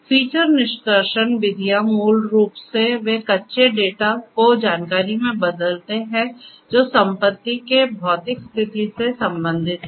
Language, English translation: Hindi, So, feature extraction methods basically what they do is they convert the raw data into information that relates to the physical state of the asset